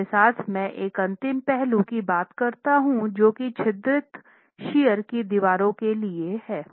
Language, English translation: Hindi, With that let me talk of one last aspect which is peculiar to perforated shear walls